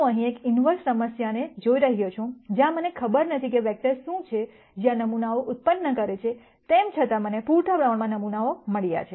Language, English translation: Gujarati, I am looking at an inverse problem here, where I do not know what are the vectors that are generating these samples, nonetheless I have got enough samples